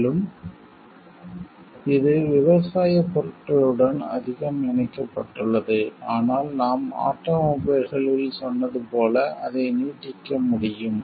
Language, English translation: Tamil, More so like this is more attached to agricultural products, but it can be extended as we told in automobiles